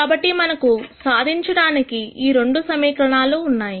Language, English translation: Telugu, So, we have these two equations that we need to solve